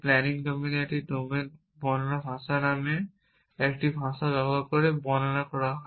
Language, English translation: Bengali, The planning domain is described using a language called a planning domain description language